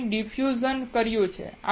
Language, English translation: Gujarati, We have done diffusion